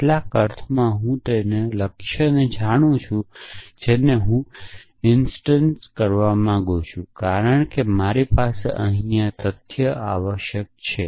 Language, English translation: Gujarati, So, in some sense I know the target to which I want to instantiate because I have this fact here essentially